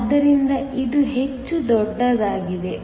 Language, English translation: Kannada, So, this is much greater